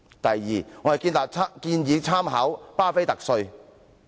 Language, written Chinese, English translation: Cantonese, 第二，我們建議參考"畢菲特稅"。, Second we propose drawing reference from the BUFFETT Tax